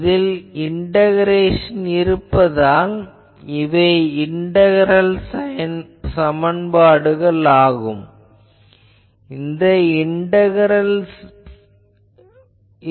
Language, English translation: Tamil, So, that is why it is an integral equation